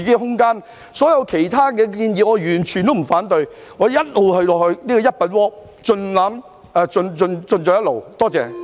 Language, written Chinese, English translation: Cantonese, 對於所有其他建議，我全部都不反對，我亦一直支持好像"一品鍋"一樣共冶一爐。, I have no objection to all other proposals as I have always supported the merging of diversified ideas just like a hotpot with assorted ingredients